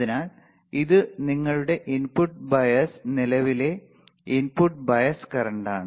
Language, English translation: Malayalam, So, this is your input bias current input bias current